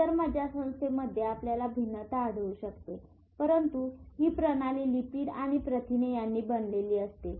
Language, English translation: Marathi, In other nervous system you find it like this, there may be variation but it is formed of lipid and protein